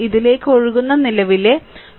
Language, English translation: Malayalam, So, actually current flowing to this is 2